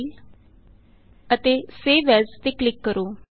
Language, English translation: Punjabi, Click on File and Save